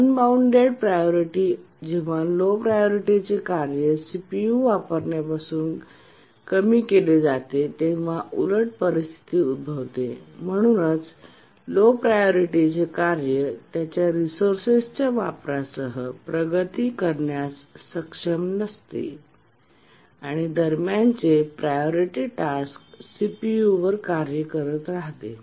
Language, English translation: Marathi, That's a simple priority inversion, but an unbounded priority inversion situation occurs where the low priority task has been preempted from using the CPU and therefore the low priority task is not able to make progress with its resource uses and the intermediate priority task keep on executing on the CPU